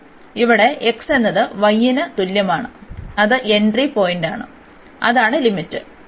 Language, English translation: Malayalam, So, here the x is equal to y that is the entry point, so x is equal to y that is the limit